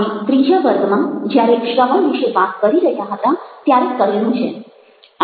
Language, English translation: Gujarati, we have done it in the third session when we talked about listening